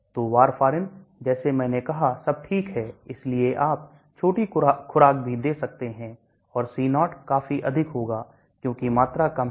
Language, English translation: Hindi, So warfarin like I said all right down, so you can give even small dosage and C0 will be quite high, because volume is low